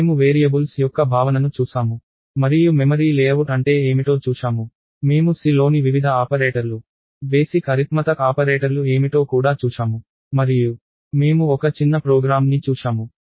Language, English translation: Telugu, So, we looked at the notion of variables and we looked that the notion of what the memory layout is, we also looked at what the various operators in C are the basic arithmetic operators and we looked at a small program